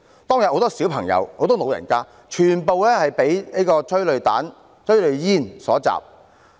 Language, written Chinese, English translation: Cantonese, 當天有很多小朋友、長者，全部被催淚煙所襲。, Many children and elderly persons were attacked by tear gas that day